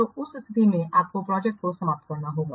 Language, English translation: Hindi, So in that case also you have to terminate the project